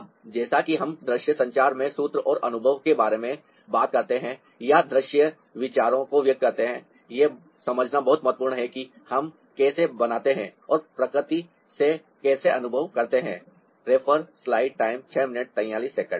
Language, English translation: Hindi, now, as we talk about formula and experience in visual communication or expressing visual ideas, this is very important to understand how we formulate and how we experience from nature